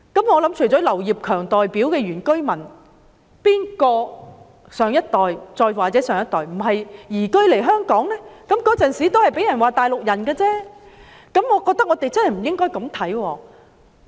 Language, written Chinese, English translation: Cantonese, 我相信除了劉業強議員代表的原居民，很多人的上一代或再上一代也是移居來香港的，也曾被人指是"大陸人"，我覺得我們不應這樣看。, I trust that apart from the indigenous villagers represented by Mr Kenneth LAU the previous generations of many people in Hong Kong used to be new arrivals and were dubbed as Mainlanders also . I think we should not look at it this way